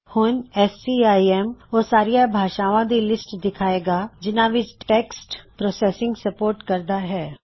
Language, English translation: Punjabi, SCIM will show a list with all the languages it supports text processing in